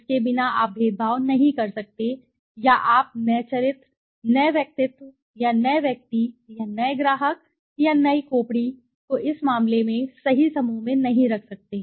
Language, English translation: Hindi, Without this you cannot discriminate or you cannot place the new character, new personality or the new person or the new customer or new the skull in this case in to the right group